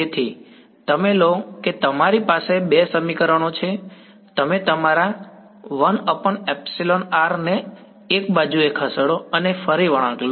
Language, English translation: Gujarati, So, you take you have two equations, you move your 1 by epsilon r on one side and again take a curl